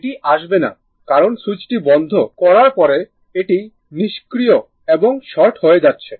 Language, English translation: Bengali, It will not come because after swit[ch] closing the switch this is becoming inactive right it is shorted